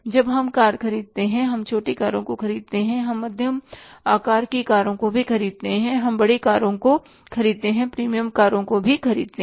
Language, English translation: Hindi, When we buy the cars, we buy the small cars also we buy medium size cars also we buy the bigger cars also, the premium cars also